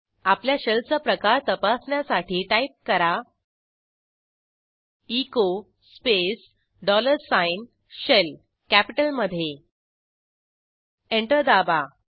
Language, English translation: Marathi, To check which type of shell we are using, Type echo space dollar sign SHELL Press Enter